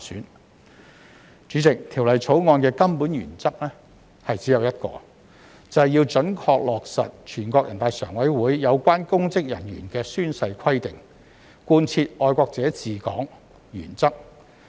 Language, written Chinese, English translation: Cantonese, 代理主席，《條例草案》的根本原則只有一個，便是要準確落實全國人大常委會有關公職人員的宣誓規定，貫徹愛國者治港原則。, Deputy President the Bill has one fundamental principle only ie . to accurately implement the oath - taking provisions of NPCSC concerning public officers and implement the patriots administering Hong Kong principle